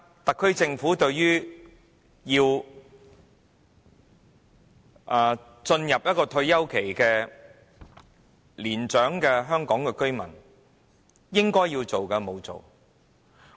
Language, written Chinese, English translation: Cantonese, 特區政府對於進入退休期的年長香港居民，應做的沒有做。, The SAR Government is not doing what it ought to do for retired elderly residents of Hong Kong